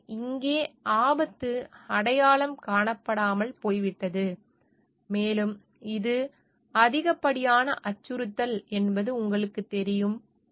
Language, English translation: Tamil, So, here the hazard has gone unrecognised, and it is you know like it is an excessive threat